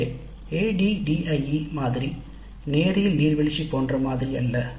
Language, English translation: Tamil, So ADI model is not a linear waterfall like model